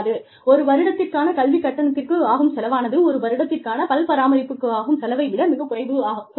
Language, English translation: Tamil, And, one year of education may cost, much lesser than, one year of dental care